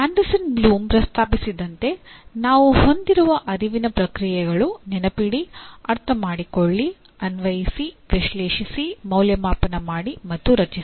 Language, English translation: Kannada, Now, the cognitive processes that we have as proposed by Anderson Bloom are Remember, Understand, Apply, Analyze, Evaluate, and Create